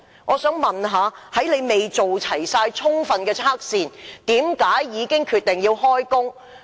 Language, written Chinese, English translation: Cantonese, 我想問局長，在未完成充分測試前，為何決定讓工人開工？, I would like to ask the Secretary why workers were asked to commence work before the completion of all tests